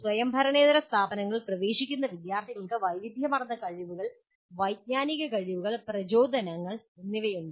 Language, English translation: Malayalam, The students entering non autonomous institutions have widely varying competencies, cognitive abilities and motivations